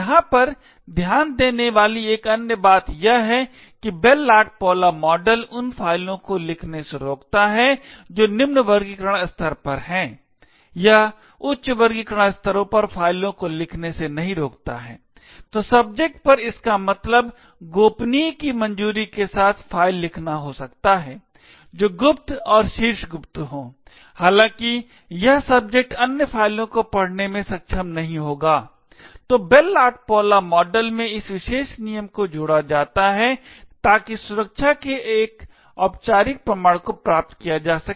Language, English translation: Hindi, while the Bell LaPadula model prevents writing to files which are at a lower classification level, it does not prevent writing to files at higher classification levels, so this means at subject with a clearance of confidential can write files which are secret and top secret, however this subject will not be able to read the other files, so this particular rule in the Bell LaPadula model is added so as to achieve a formal proof of security